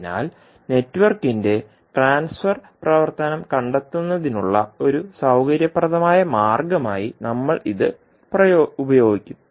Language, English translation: Malayalam, So, we will use this as a convenient method for finding out the transfer function of the network